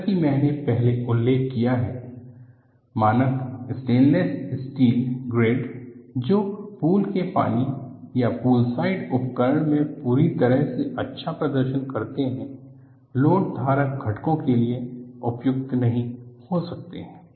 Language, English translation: Hindi, As, I mentioned earlier, the standard stainless steel grades, that perform perfectly well in pool water or poolside equipment, may not be suitable for load bearing components